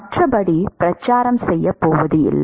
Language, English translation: Tamil, Otherwise it is not going to propagate